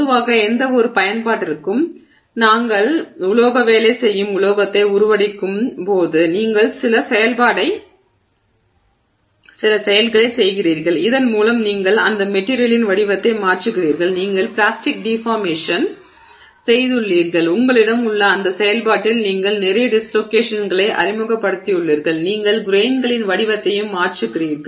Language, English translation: Tamil, So, normally in fact when we do metal working, metal forming for any application you are doing some process by which you are changing the shape of that material and let's say you have done plastic deformation and you have in that process you have introduced a lot of dislocations into the system, you have also changed the shape of the grains